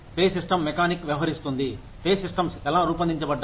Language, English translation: Telugu, Pay system mechanics deal with, how pay systems are designed